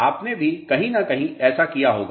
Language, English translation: Hindi, You must have done this somewhere